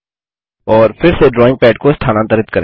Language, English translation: Hindi, And again move the drawing pad